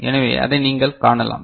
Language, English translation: Tamil, So, that is what you can see